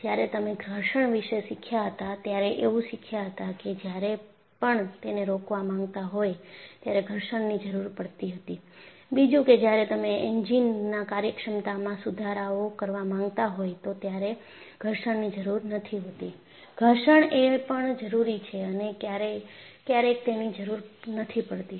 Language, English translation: Gujarati, So, when you had learned friction, friction was necessary when you want to have breaks; friction is not necessary when you want to improve the efficiency of the engine; so, the friction is needed as well as not needed